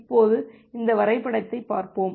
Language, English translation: Tamil, Now let us look into this diagram